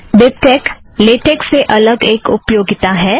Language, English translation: Hindi, Bibtex is a stand alone utility separate from LaTeX